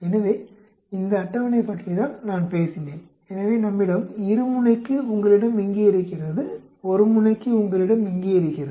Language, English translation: Tamil, So, this is the table I talked about so we for a two sided you have it here, for one sided you have it here